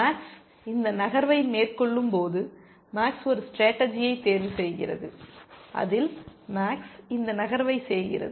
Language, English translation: Tamil, When max makes this move, max is either selecting a strategy in which max is making this move here, and this move here